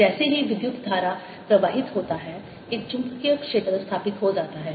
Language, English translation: Hindi, as soon as the current flows, there is a magnetic field established